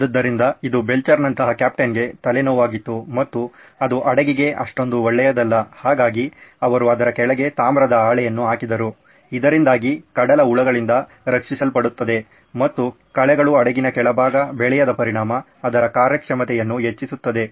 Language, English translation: Kannada, So it was a pain for the captain, captain like Belcher and that was not so good for the ship so they put up a copper sheet underneath so that it is protected from the ship worms as they were called or weeds which grew underneath and affected the performance of the ship